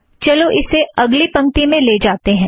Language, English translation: Hindi, Lets take this to the next line